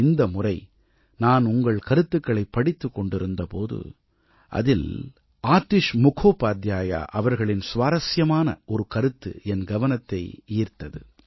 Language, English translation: Tamil, Once while I was going through your comments, I came across an interesting point by AtishMukhopadhyayji